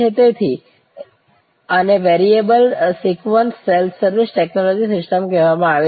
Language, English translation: Gujarati, So, these are called variable sequence self service technology systems